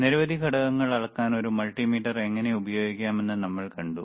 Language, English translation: Malayalam, We have seen how we can use a multimeter to measure several components